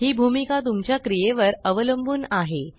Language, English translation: Marathi, This role depends on the activity